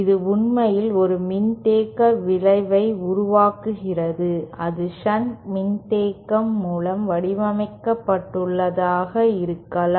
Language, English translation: Tamil, This actually produces a capacitive effect, it can be modelled by shunt capacitance